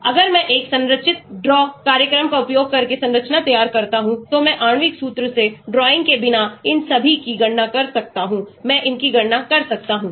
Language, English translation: Hindi, if I draw a structure using a structured draw program, I can calculate all these, without drawing, from the molecular formula, I can calculate these